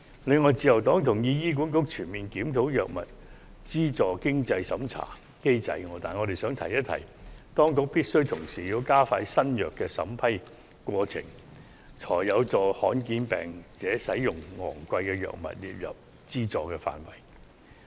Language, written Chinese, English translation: Cantonese, 此外，自由黨同意醫院管理局應全面檢討藥物資助經濟審查機制，但我們亦想一提，當局必須同時加快新藥審批程序，才可有助把罕見病患者使用的昂貴藥物納入資助範圍。, Moreover the Liberal Party agrees that the Hospital Authority should comprehensively review its means test mechanism for subsidy for drug expenses but we would like to remind the Government that the drug registration process should also be expedited which will help bring some expensive drugs used by patients suffering from rare diseases within the scope of subsidy